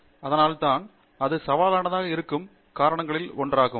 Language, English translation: Tamil, So, that is why, that is one of the reasons why it tends to be challenging